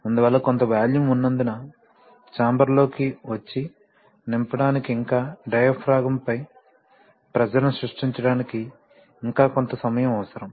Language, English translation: Telugu, So since there is some volume involved, so there is certain amount of time required for that yet to come and fill the chamber and then create the pressure on the diaphragm